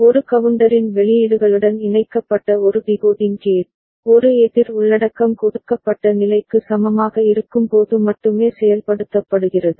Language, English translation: Tamil, A decoding gate connected to the outputs of a counter, is activated only when a counter content is equal to a given state